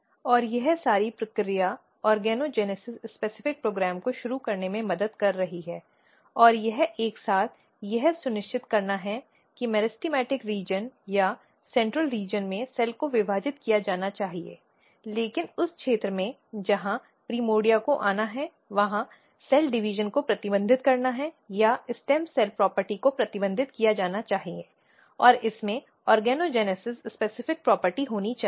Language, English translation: Hindi, And all this process is helping in initiation of organogenesis specific program and this is together basically ensuring that in the meristematic region or in the central region cell should be dividing, but in the region where primordia has to come their cell division has to be restricted or the stem cell property has to be restricted, and should be more kind of organogenesis specific property this is another simple way of looking here